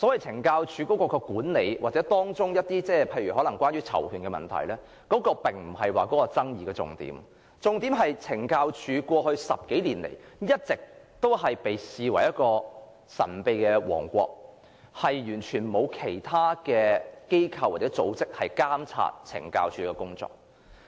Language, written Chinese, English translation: Cantonese, 懲教署的管理或當中涉及的囚權問題並非爭議重點，重點其實在於懲教署在過去10多年來一直被視為神秘的王國，工作完全不受其他機構或組織監察。, The management problems with the Correctional Services Department CSD or the right of persons in custody is not the focus of controversy . Actually the focus is that CSD has been regarded as a secret kingdom over the past 10 years or so in the sense that it is not monitored by any other organizations or groups at all